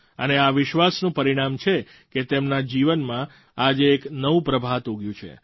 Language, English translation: Gujarati, It's a result of that belief that their life is on the threshold of a new dawn today